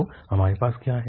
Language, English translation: Hindi, So here what we have